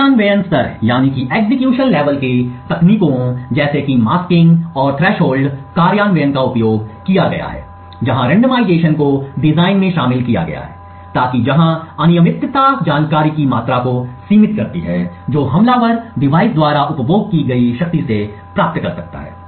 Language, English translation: Hindi, At the implementation level techniques such as masking and threshold implementations have been used where randomization has been incorporated into the design so that where the randomness limits the amount of information that the attacker can gain from the power consumed by the device